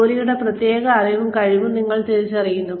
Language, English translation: Malayalam, You identify, the specific knowledge and skills of the job, requires